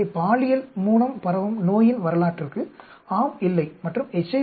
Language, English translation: Tamil, So, yes for a history of sexually transmitted disease, no and HIV infection yes and no